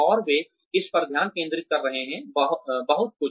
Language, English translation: Hindi, And, they are focusing on this, a lot